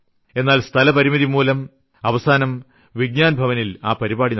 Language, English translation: Malayalam, However due to space constraint, the program was eventually held in Vigyan Bhawan